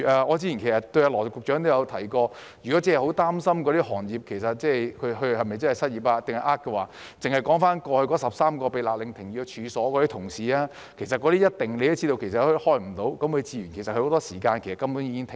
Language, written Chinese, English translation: Cantonese, 我早前也對羅局長說，如果真是很擔心那些領取失業援助的人是否真的失業或存心詐騙，單看過去那13類被勒令停業的處所，他也一定知道它們無法營業，很多時間根本已經停業。, Earlier on I have told Secretary Dr LAW that if he was really worried whether those receiving unemployment assistance were truly unemployed or had the intention to commit frauds simply by looking at the 13 types of premises that were ordered to suspend operation he would have known that they could not do business and had suspended operation for most of the time